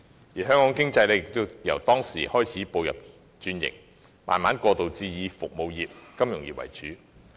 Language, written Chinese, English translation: Cantonese, 自此，香港經濟開始轉型，逐步過渡至以服務業和金融業為主。, Since then Hong Kongs economy has started restructuring gradually shifting its focus to the service and financial industries